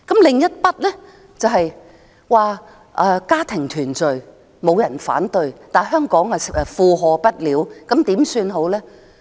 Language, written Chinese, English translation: Cantonese, 另一方面，沒有人會反對家庭團聚，但香港負荷不了，怎麼辦呢？, Furthermore nobody would object to family reunion but now that Hong Kong is out of its depth what should we do?